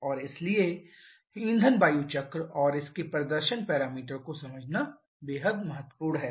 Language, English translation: Hindi, And therefore it is extremely important to understand the fuel air cycle and corresponding performance parameter